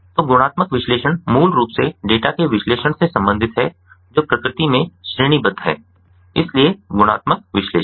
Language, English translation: Hindi, so qualitative analysis basically deals with the analysis of data that are categorical in nature